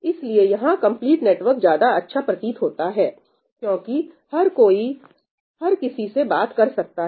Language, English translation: Hindi, So, in that sense the complete network seems better, why because anybody can talk to anybody, right